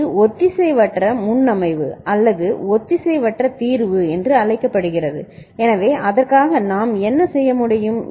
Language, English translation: Tamil, So, that is called asynchronous presetting or asynchronous clearing, So, for that what we can do